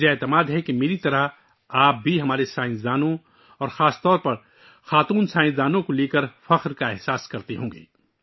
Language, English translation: Urdu, I am sure that, like me, you too feel proud of our scientists and especially women scientists